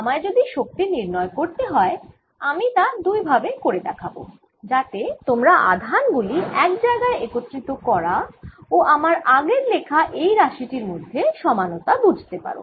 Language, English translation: Bengali, if i would calculate the energy, i will do it in two so that you see the equivalence of assembling the charges and this expression that i have written above